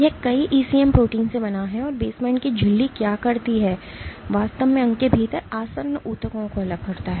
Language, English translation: Hindi, It is composed of multiple ECM proteins and what the basement membrane does it actually separates adjacent tissues within organ